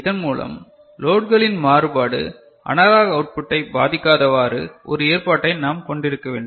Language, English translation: Tamil, So, we need to have a have an arrangement by which the variation in the load should not affect the analog output that is getting generated